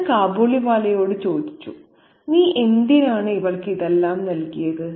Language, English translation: Malayalam, I asked the Kabiliwala, why did you give all these to her